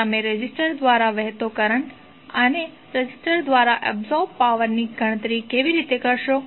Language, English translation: Gujarati, How you will calculate the current through resistor and power absorb by the resistor